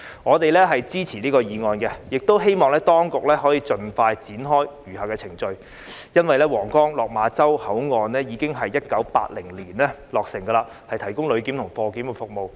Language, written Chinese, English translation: Cantonese, 我們支持這項議案，並希望當局可以盡快展開餘下的程序，因為皇崗、落馬洲口岸已於1980年落成，提供旅檢及貨檢服務。, We support this motion and wish that the authorities can carry out the remaining procedures without delay because the HuanggangLok Ma Chau Control Point was commissioned long ago in the 1980s to provide clearance service for passengers and goods vehicles